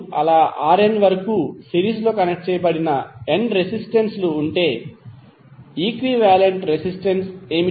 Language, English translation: Telugu, So suppose if you have n resistances connected in series like R¬1, ¬R¬2 ¬upto R¬n ¬are there what would be the equivalent resistance